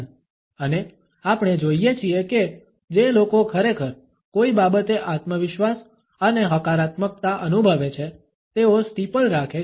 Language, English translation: Gujarati, And we find that people who really feel confident and positive about something tend to steeple